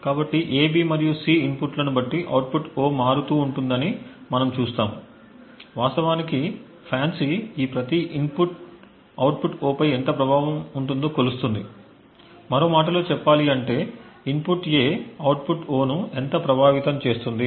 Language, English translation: Telugu, So we see that the output O varies depending on the inputs A, B and C what FANCI actually measures is how much each of these inputs have on the output O, in other words how much does the input A affect the output O and so on